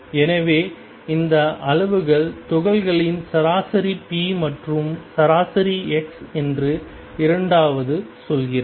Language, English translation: Tamil, So, second tells you that these quantities are the average p and average x for particle in state of psi